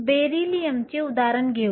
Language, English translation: Marathi, Let us use the example for Beryllium